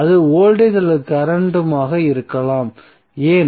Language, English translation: Tamil, That may be the voltage or current why